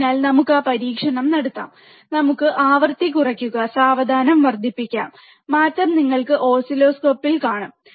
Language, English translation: Malayalam, So, let us do that experiment, let us bring the frequency low and let us increases slowly, and you will see on the oscilloscope the change, alright